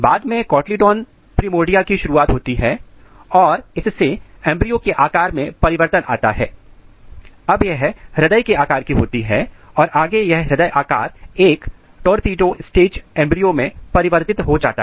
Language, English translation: Hindi, Then next things what happens, cotyledon primordia initiates and this results in the change of the shape of the embryo, now it becomes heart shape and further this heart shape get converted into torpedo stage embryo